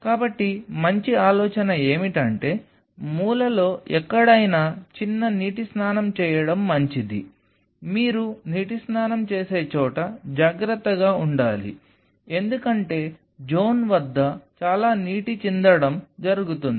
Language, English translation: Telugu, So, the best idea is to have a small water bath somewhere in the again in the corner has to be careful wherever you keep a water bath, because there are lot of water spill happens at the zone